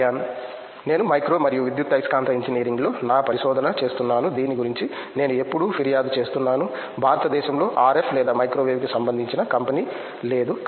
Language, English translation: Telugu, I am doing my research in Micro and Electromagnetic Engineering, and I always complain about this there is no company in RF or Microwave in India